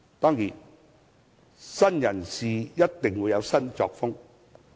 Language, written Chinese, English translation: Cantonese, 當然，新人事一定會有新作風。, But of course new faces will bring in new cultures